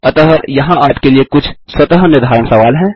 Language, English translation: Hindi, So there are few some self assessment questions for you to solve